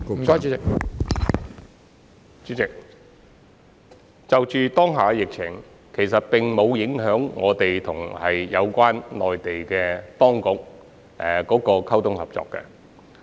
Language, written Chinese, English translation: Cantonese, 主席，當下的疫情其實沒有影響我們與內地有關當局溝通和合作。, President in fact the current epidemic situation has not affected our liaison and cooperation with the relevant Mainland authorities